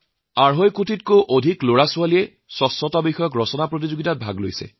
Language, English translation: Assamese, More than two and a half crore children took part in an Essay Competition on cleanliness